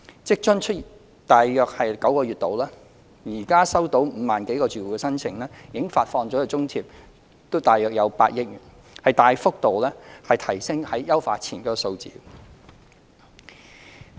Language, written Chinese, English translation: Cantonese, 職津推出約9個月，至今收到5萬多個住戶的申請，已發放津貼約8億元，大幅度高於優化前的數字。, The WFA Scheme has received applications from 50 000 households since its implementation nine months ago . The allowance disbursed is about 800 million which is significantly higher than the amount before the enhancement